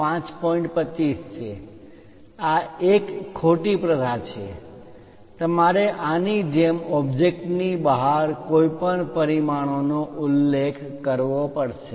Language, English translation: Gujarati, 25 this is wrong practice, you have to mention any dimension outside of the object like this